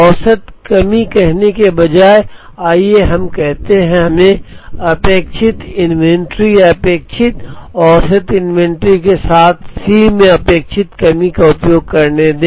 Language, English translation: Hindi, Instead of saying average shortage let us say let us use expected ending inventory or expected average inventory plus expected shortage into C s